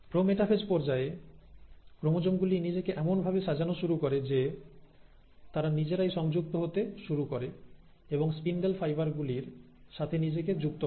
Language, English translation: Bengali, So in the pro metaphase stage, what happens is that the chromosomes have now started arranging themselves in a fashion that they start connecting themselves and attaching themselves to the spindle fibres, and now how do they attach themselves to the spindle fibres